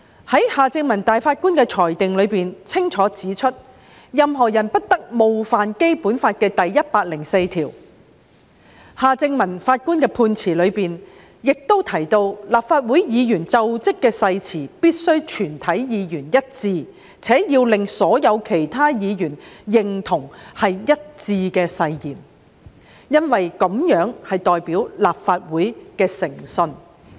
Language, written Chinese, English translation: Cantonese, 法官夏正民在裁定中清楚指出，任何人不得冒犯《基本法》第一百零四條，法官夏正民在判詞中亦提及，立法會議員就職誓詞必須是全體議員一致，且要令所有其他議員認同是一致的誓言，因為這代表立法會的誠信。, In the ruling Mr Justice Michael John HARTMANN clearly pointed out that no person should contravene Article 104 of the Basic Law . Mr Justice Michael John HARTMANN also mentioned in his judgment that the oath of office taken by Legislative Council Members should be uniform for all Members and should be agreed by all other Members as being uniform because it represented the integrity of the Legislative Council